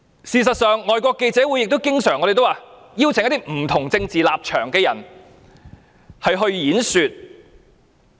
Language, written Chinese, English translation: Cantonese, 事實上，外國記者會也經常邀請一些不同政治立場的人演說。, As a matter of fact FCC did invite people of different political stances to speak from time to time